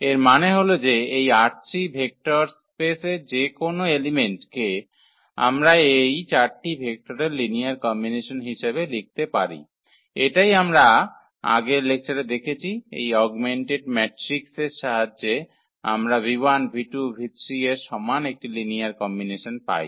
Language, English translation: Bengali, The meaning was that any element of this vector space R 3 we can write as a linear combination of these 4 vectors, this is what we have seen in previous lecture with the help of this augmented matrix which we can get out of this linear combination equal to this v 1 v 2 v 3